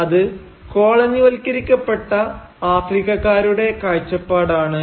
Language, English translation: Malayalam, Well, it is a perspective of the colonised Africans